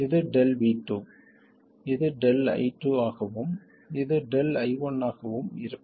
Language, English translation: Tamil, This is delta V2, this would be delta I2 and this would be delta I1